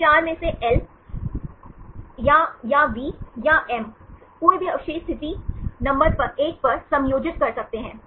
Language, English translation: Hindi, Among these 4, either L or I or V or M, any residue can accommodate at the position number one